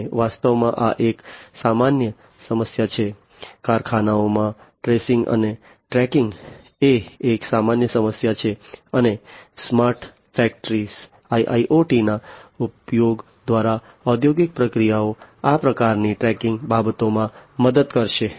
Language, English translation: Gujarati, And this is a common problem actually, you know tracing and tracking is a common problem in factories, and through the use of smart factory IIoT for smart factory the industrial processes will help in this kind of tracking affairs